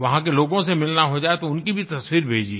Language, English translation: Hindi, If you happen to meet people there, send their photos too